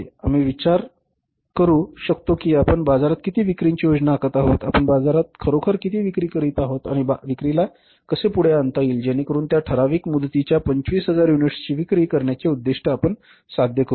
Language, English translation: Marathi, We could have thought of that how much we are planning to sell in the market, how much we are actually selling in the market and how to push up the sales so that we can achieve the target of selling 25,000 units for that given time horizon